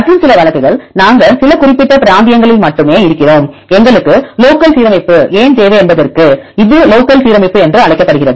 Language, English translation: Tamil, And the some cases; we are in only some particular regions; this is called the local alignment for why we need local alignment